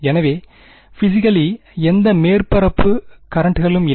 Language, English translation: Tamil, So, I know that physically there are no surface currents